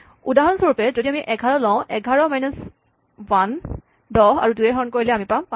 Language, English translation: Assamese, If we take 11, for example, 11 minus 1 is 10, 10 by 2 is 5